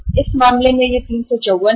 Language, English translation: Hindi, Here in this case it is 354